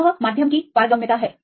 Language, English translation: Hindi, That is a permitivity of the medium